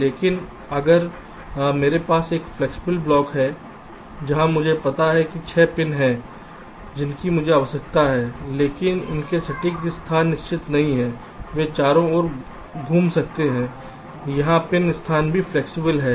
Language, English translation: Hindi, but if i have a flexible block where i know that there are six pins i need, but their exact locations are not fixed, they can move around